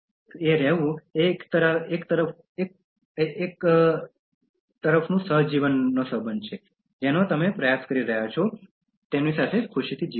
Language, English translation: Gujarati, So being with that is a kind of symbiotic relationship on the one hand you are trying to make them live happily